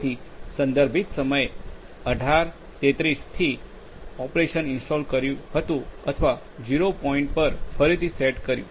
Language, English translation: Gujarati, So, from this like the operation was installed or reset at 0 point